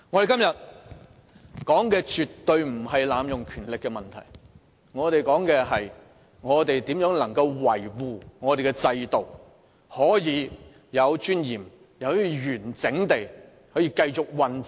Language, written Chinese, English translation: Cantonese, 今天討論的絕對不是濫用權力的問題，而是如何維護立法會的制度，使本會可以有尊嚴、完整地繼續運作。, Today we are definitely not discussing the question of abuse of power but how to uphold the system of the Legislative Council so that it can continue to operate in a dignified and proper manner